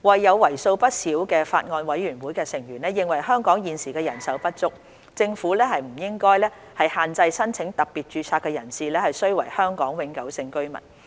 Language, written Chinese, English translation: Cantonese, 有為數不少的法案委員會成員認為香港醫生現時人手不足，政府不應限制申請特別註冊的人士須為香港永久性居民。, A considerable number of members of the Bills Committee are of the view that as Hong Kong is currently in shortage of doctors special registration should not be limited to HKPRs